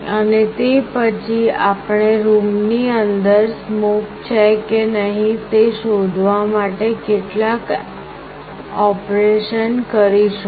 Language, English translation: Gujarati, And then we will do some kind of operation to find out whether there is smoke inside the room or not